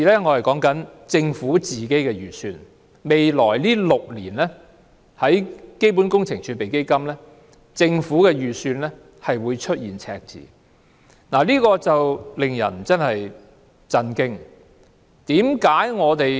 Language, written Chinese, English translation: Cantonese, 按照政府的預算，基本工程儲備基金未來6年將會出現赤字，這實在令人感到震驚。, According to the Governments estimates the next six years will see a deficit in CWRF . This is really shocking